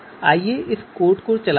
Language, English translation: Hindi, So let us run this code